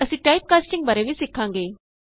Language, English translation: Punjabi, We will also learn about Type casting